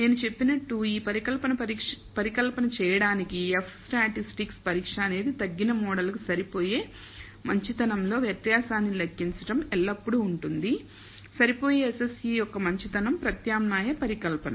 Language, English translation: Telugu, So, as I said the F statistic for doing this hypothesis test is to compute the difference in the goodness of fit for the reduced model which is always higher minus the goodness of fit SSE for the alternative hypothesis